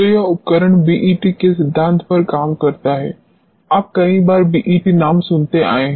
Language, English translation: Hindi, So, this instrument works on the principle of BET, you have been hearing the name BET several times